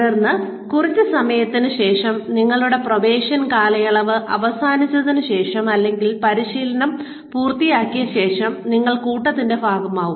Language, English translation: Malayalam, And then, after a while, after your probation period is over, or you finished your training, you become part of the flock